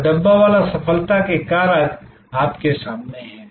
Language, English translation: Hindi, So, the Dabbawala success factors are in front of you